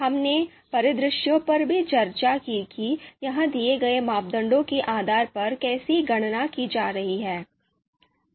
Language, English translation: Hindi, We also discussed the scenarios how this is going to be computed based on the given parameters